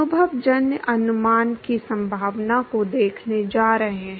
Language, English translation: Hindi, Going to look at the possibility of empirical estimation